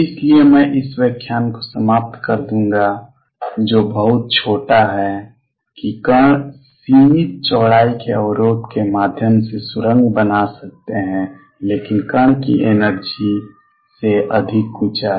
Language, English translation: Hindi, So, I will just conclude this lecture which is a very short one that particles can tunnel through a barrier of finite width, but height greater than the energy of the particle